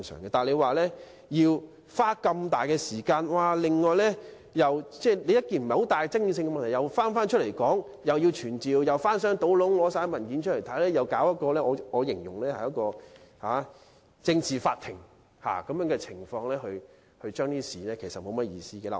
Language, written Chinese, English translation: Cantonese, 不過，如果要花這麼多時間，把不大具爭議性的問題再次提出來討論，既要傳召證人，又要翻箱倒篋找出相關的文件，並搞一個我形容為政治法庭來進行審議，其實沒有甚麼意思。, But if we spend so much time to bring up an issue that is not so controversial for discussion again having to summon witnesses dig up all relevant papers as well as set up a political court as I describe it to examine the issue it is indeed not worth the effort